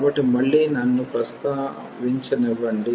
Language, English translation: Telugu, So, again let me just mention